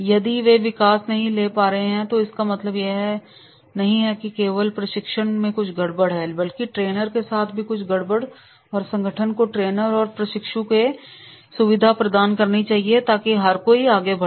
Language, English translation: Hindi, If they are not able to take the growth, it means that there is something wrong not only with the trainee but there is also something wrong with the trainer and organization should facilitate trainer and trainee so that everyone grows